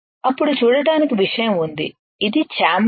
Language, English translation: Telugu, Then there is a viewing point this is the chamber